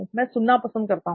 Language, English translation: Hindi, I prefer listening